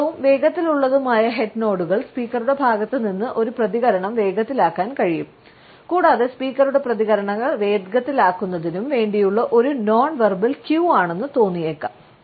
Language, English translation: Malayalam, In excessive and rapid head nod can rush a response on the part of the speaker and the speaker may feel that it is a nonverbal queue to hurry up his or her responses